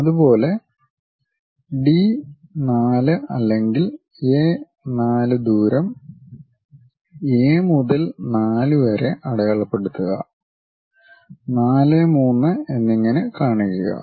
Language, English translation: Malayalam, Similarly, D 4 or A 4 distance locate it from A to 4 mark that point as 4 and 3